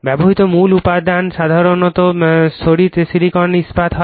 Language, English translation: Bengali, The core material used is usually your laminated silicon steel